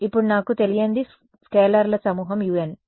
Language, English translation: Telugu, Now my unknown is a bunch of scalars u n